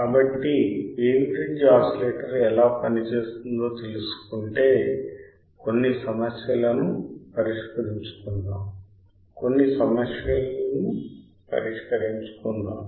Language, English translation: Telugu, So, if that is the case if we learn how the Wein bridge is oscillator operates then let us solve some problems right let us solve some problems